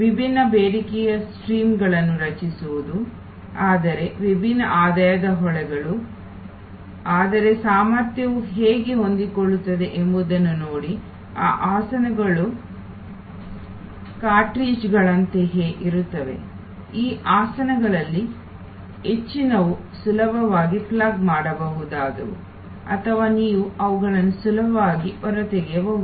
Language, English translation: Kannada, Creating different demands streams, but different revenue streams, but look at how the capacity also is flexible, these seats are all like cartridges, most of these seats are readily pluggable or you can easily pull them out